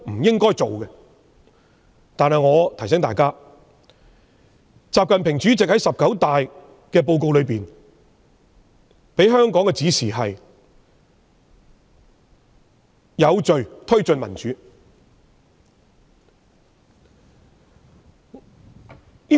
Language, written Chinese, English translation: Cantonese, 然而，我提醒大家，習近平主席在"十九大"報告中給予香港的指示是"有序推進民主"。, However I have to remind Members that President XI Jinping has instructed Hong Kong to take well - ordered steps to advance democracy in his report delivered at the 19 National Congress of the Communist Party of China